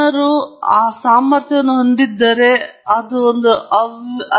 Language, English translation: Kannada, If people had that ability, then it could be a chaos right